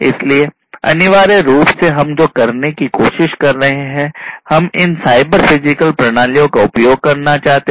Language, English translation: Hindi, So, essentially what we are trying to do is we want to use these cyber physical systems